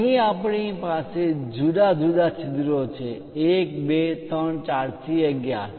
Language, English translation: Gujarati, Here we have different holes; 1, 2, 3, 4, perhaps 5, 6 and so on… 11